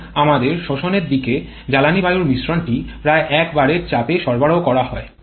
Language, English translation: Bengali, Because our suction side the fuel air mixture is generally supplied at a pressure of around 1 bar